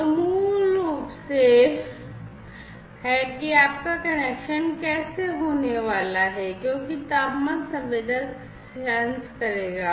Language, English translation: Hindi, So, this is basically how your connection is going to happen because the temperature sensor will sense